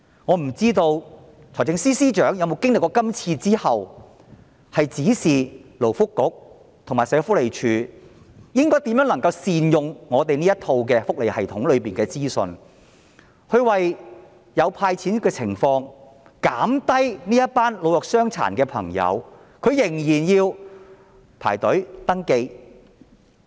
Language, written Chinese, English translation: Cantonese, 我不知道財政司司長經歷今次"派錢"後會否指示勞工及福利局和社署如何善用香港的福利系統裏的資訊，便利市民領錢，免卻老弱傷殘的朋友仍要排隊登記的麻煩。, I do not know whether the Financial Secretary will after this cash handout exercise direct the Labour and Welfare Bureau and SWD to make good use of the welfare information system to facilitate the disbursement of cash in future so as to spare the old weak and disabled from the trouble of queuing up for registration